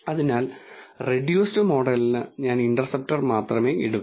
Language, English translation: Malayalam, So, for the reduced model I take only the interceptor